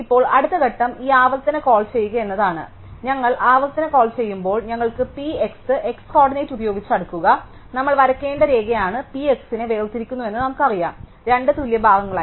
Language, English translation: Malayalam, Now, the next step is to do this recursive call and so when we do the recursive call, because we have P x sort it by x coordinate, we know that the line that we need to draw is the one that separates P x into two equal parts